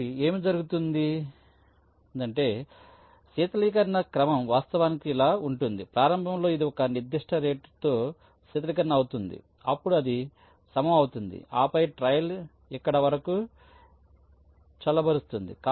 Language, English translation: Telugu, so what will happen is that the cooling sequence will actually the like this: initially it will be cooling at a certain rate, then it will be leveling up, then again it will cooling until here